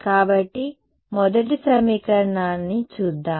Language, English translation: Telugu, So, let us look at the first equation